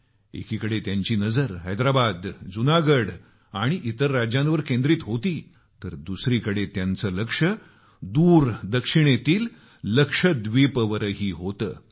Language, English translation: Marathi, On the one hand, he concentrated on Hyderabad, Junagarh and other States; on the other, he was watching far flung Lakshadweep intently